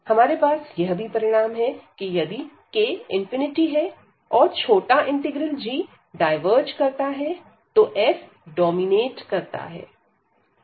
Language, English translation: Hindi, And we have also the result if this k is come infinity, and this diverges the g integral which is the smaller one now this f dominates